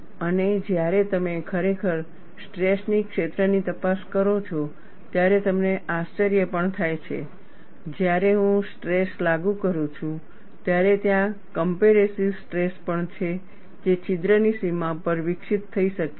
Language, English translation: Gujarati, And when you really investigate the stress field, you also have surprises, when I apply tension, there is also compressive stresses that could be developed on the boundary of the hole